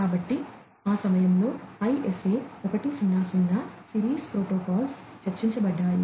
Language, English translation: Telugu, So, at that time the ISA 100 series of protocols was discussed